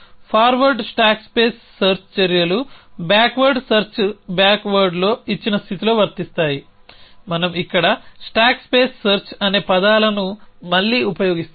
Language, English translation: Telugu, In forward stack space search actions are applicable in a given state in backwards search back ward we use a terms stack space search here again